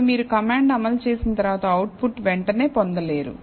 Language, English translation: Telugu, Now, once you execute the command, you will not get the output immediately